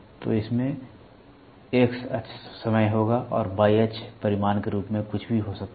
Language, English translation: Hindi, So, it will have X axis might be time and Y axis can be anything as magnitude